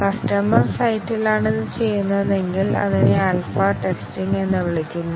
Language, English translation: Malayalam, If it is done at the customer site, then it is called as alpha testing